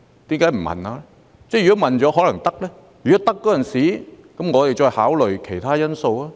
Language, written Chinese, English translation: Cantonese, 如果問了，答案也許是"可以"，那麼屆時我們便可進一步考慮其他因素。, There is a possibility that we can get the green light and take a step further to explore other relevant matters